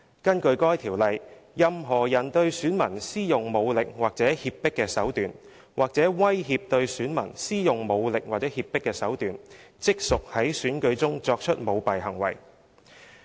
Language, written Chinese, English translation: Cantonese, 根據《條例》，任何人對選民施用武力或脅迫手段，或威脅對選民施用武力或脅迫手段，即屬在選舉中作出舞弊行為。, Under the Ordinance a person engages in corrupt conduct at an election if he uses force or duress or threatens to use force or duress against an elector